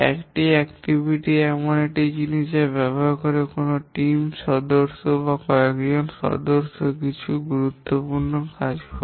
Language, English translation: Bengali, An activity is something using which a team member or a few members get some important work done